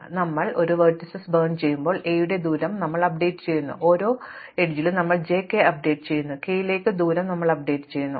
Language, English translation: Malayalam, So, we update the distance of a when we burn a vertices j, we update for every edge j k, we update the distance to k to be what distance we already know for k together with a distance to j an edge from j to k